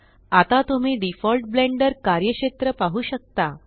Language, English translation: Marathi, Now you can see the default Blender workspace